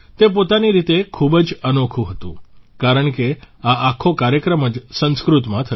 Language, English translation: Gujarati, This was unique in itself, since the entire program was in Sanskrit